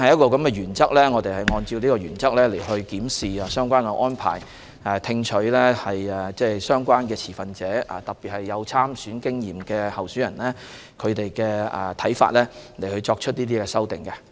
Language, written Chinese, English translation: Cantonese, 我們按照這個原則來檢視相關的安排，聽取持份者的意見，特別是有參選經驗的候選人的看法，來作出修訂。, We reviewed the relevant arrangements based on this principle listened to the views of stakeholders especially candidates with experience in standing in elections and came up with the amendment